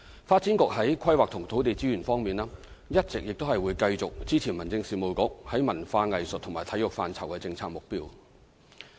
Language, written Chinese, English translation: Cantonese, 發展局在規劃及土地資源方面會一直繼續支持民政事務局在文化藝術及體育範疇的政策目標。, The Development Bureau will in respect of planning and land resources continue to support the Home Affairs Bureau to attain the policy objectives in culture arts and sports